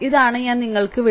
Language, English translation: Malayalam, This is I am leaving up to you